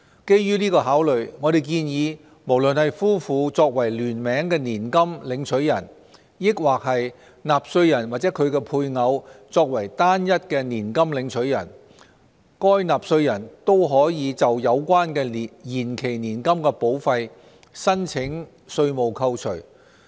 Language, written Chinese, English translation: Cantonese, 基於這個考慮，我們建議無論是夫婦作為聯名年金領取人，抑或是納稅人或其配偶作為單一年金領取人，該納稅人均可就有關的延期年金保費申請稅務扣除。, Based on this consideration we propose that a taxpayer can claim tax deductions for deferred annuity premiums covering his or her spouse as joint annuitant or either the taxpayer or the taxpayers spouse as a sole annuitant